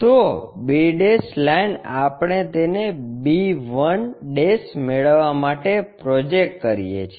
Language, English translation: Gujarati, So, b' line we project it to get b 1'